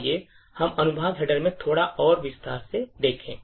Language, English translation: Hindi, So, let us look a little more detail into the section headers